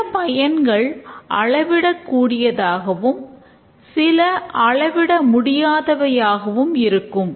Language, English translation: Tamil, The benefits, some of them are quantifiable, some of them may be non quantifiable